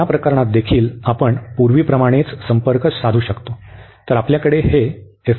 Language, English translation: Marathi, So, in this case also you will also approach same as before